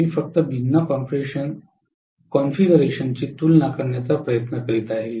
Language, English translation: Marathi, I am just trying to compare different configurations